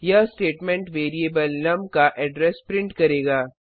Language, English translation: Hindi, This statement will print the address of the variable num